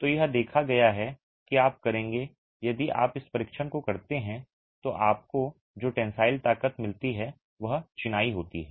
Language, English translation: Hindi, So, it's observed that you will, if you do this test, the tensile strength that you get of masonry is going to be consistently higher